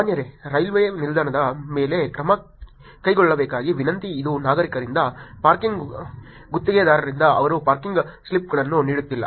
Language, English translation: Kannada, Dear Sir, Request to take action on Railway Station this is from the citizens, parking contractors they are not issuing parking slips right